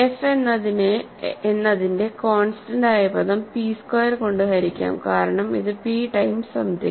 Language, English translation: Malayalam, Hence, constant term of f is divisible by p squared, right because this is p time some thing, this is p time some thing